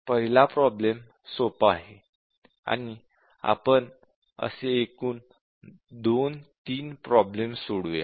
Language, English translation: Marathi, The first one is the simplest will have two or three problems now